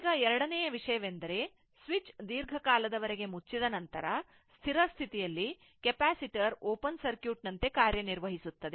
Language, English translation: Kannada, Now, second thing is, the steady state a long time, after the switch closes, means the capacitor acts like open circuit right